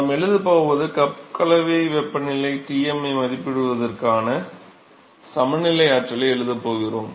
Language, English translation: Tamil, So, what we are going to write is we going to write a balance energy balance for estimating cup mixing temperature Tm